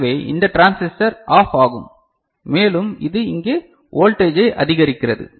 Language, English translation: Tamil, So, this transistor will go OFF and it raises the voltage over here ok